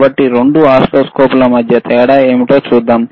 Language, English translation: Telugu, Now, let us go to the function of the oscilloscopes